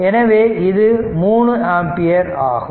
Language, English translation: Tamil, Now, this is 12 ampere